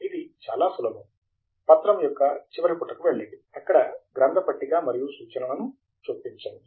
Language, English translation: Telugu, It is quite simple; go to the end of the document, and then, insert the bibliography and references